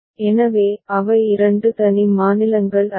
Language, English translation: Tamil, So, they are not two separate states